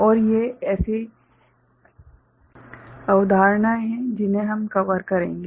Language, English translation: Hindi, And these are the concepts that we’ll cover